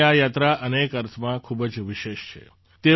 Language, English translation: Gujarati, This journey of theirs is very special in many ways